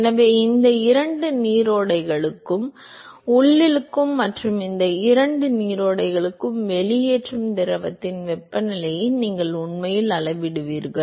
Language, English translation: Tamil, So, what you would actually measure the temperature of the fluid that is inlet to both these streams and outlet to both these streams